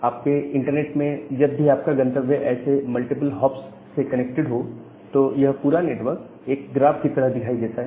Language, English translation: Hindi, Now, whenever in your internet your destination is connected via multiple such hops and the entire network looks like a graph